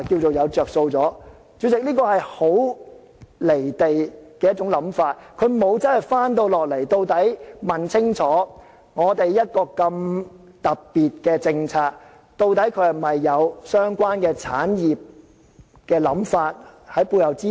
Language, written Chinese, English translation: Cantonese, 主席，這是一種很"離地"的想法，政府沒有實際地問清楚，一個這麼特別的政策，究竟背後是否有相關產業的想法作支持？, President such a consideration is highly disconnected from life given that the Government has not asked in a practical way whether this very special policy is supported by deliberations on relevant industries